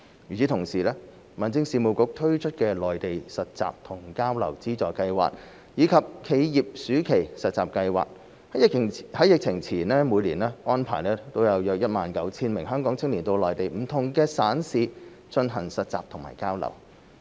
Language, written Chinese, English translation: Cantonese, 與此同時，民政事務局推出的內地實習和交流資助計劃，以及企業暑期實習計劃，在疫情前每年安排約 19,000 名香港青年到內地不同省市進行實習和交流。, At the same time under the funding schemes for youth internship and exchange on the Mainland and the scheme on corporate summer internship launched by the Home Affairs Bureau arrangements were made for some 19 000 Hong Kong young people to participate in exchange and internship activities in various provinces and municipalities of the Mainland each year before the epidemic